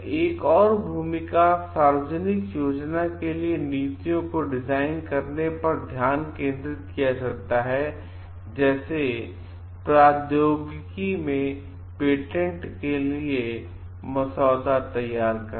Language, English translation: Hindi, Another role could be focusing on like designing policies for public planning like preparing draft for patents in technology